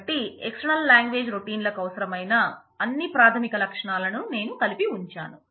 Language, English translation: Telugu, So, I have put together all the basic features that external language routines will need